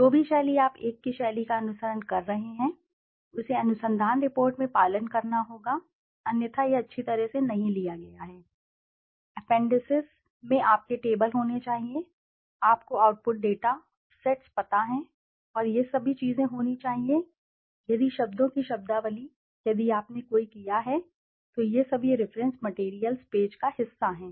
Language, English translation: Hindi, Whatever style you are following the same style has to be followed across the research report otherwise it is not well taken, the appendices should be having your tables, you know the output data, sets and all these things should be there, glossary of terms if any and indexing if you have done any, these are all part of the reference materials page